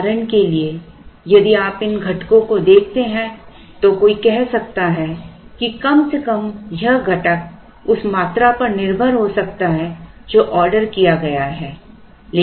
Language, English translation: Hindi, For example, if you look at these components one could say that at least this component could be could depend on the quantity that is ordered